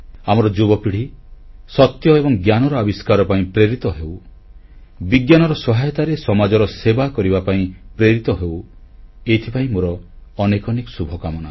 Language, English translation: Odia, May our young generation be inspired for the quest of truth & knowledge; may they be motivated to serve society through Science